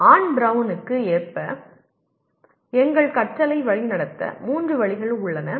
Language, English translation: Tamil, There are three ways we direct our learning according to Ann Brown